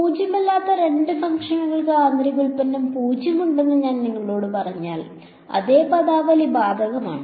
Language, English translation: Malayalam, If I tell you two non zero functions have inner product 0, the same terminology applies